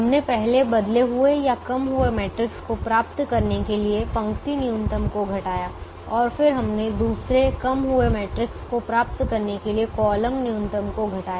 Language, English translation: Hindi, we subtracted the row minimum to get the first reduced matrix and then we subtracted the column minimum to get the second reduced matrix part